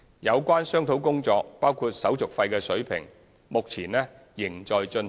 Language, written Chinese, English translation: Cantonese, 有關商討工作，包括手續費的水平，目前仍在進行。, Discussion on these matters including the level of service fees is still in progress